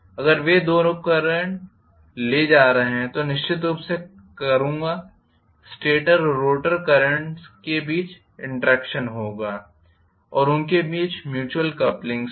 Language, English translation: Hindi, If both of them are carrying current I will definitely have interaction between the stator and rotor currents and their mutual coupling also